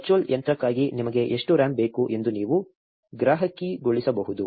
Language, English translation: Kannada, You can customize how much RAM you want for the virtual machine